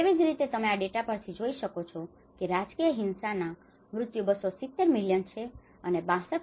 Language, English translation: Gujarati, Similarly, you can see the deaths of the political violence is 270 millions and 62